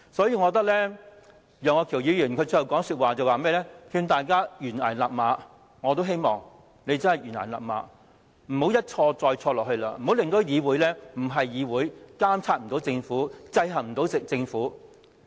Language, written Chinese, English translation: Cantonese, 楊岳橋議員發言最後一句是勸大家臨崖勒馬，我也希望他們臨崖勒馬，不要一錯再錯，不要令議會變成非議會，無法監察制衡政府。, In the last line of his speech Mr Alvin YEUNG exhorted Members to rein in at the precipice . I too hope they can rein in at the precipice instead of making another mistake and turning this Council into a legislature in name only that can neither monitor nor check the Government